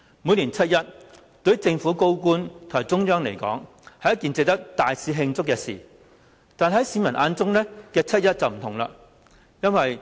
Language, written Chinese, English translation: Cantonese, 每年七一，對於政府高官及中央來說，是一件值得大肆慶祝的事，但市民眼中的七一則不同。, To senior government officials and the Central Authorities 1 July of each year is an occasion that warrants celebration but this is not the case with members of the public